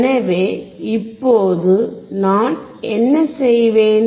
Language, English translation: Tamil, So, and now what I will do